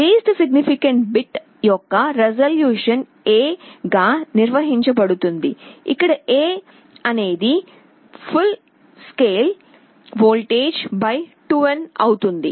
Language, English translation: Telugu, The resolution of the LSB will be defined as A, A is the full scale voltage divided by 2n